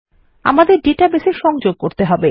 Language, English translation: Bengali, We need to connect to our database